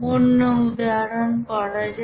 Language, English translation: Bengali, Let us do another example